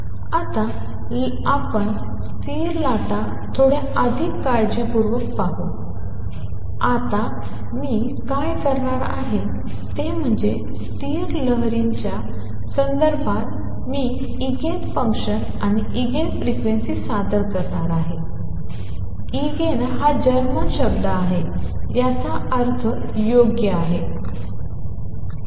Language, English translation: Marathi, Now let us look at stationary waves a little more carefully and what I am going to do now is that in the context of stationary waves I am going to introduce Eigen functions and Eigen frequencies; Eigen is a German word which means proper